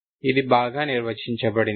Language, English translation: Telugu, This is well defined